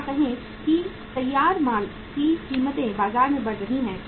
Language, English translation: Hindi, Or the say prices for the finished goods are rising in the market